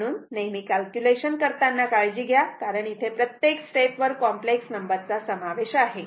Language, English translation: Marathi, So, we have to be careful about the calculation because complex number is involved in every step